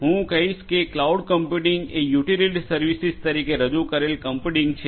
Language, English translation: Gujarati, Right I would say that cloud computing is computing offered as a utility service; computing offered as a utility service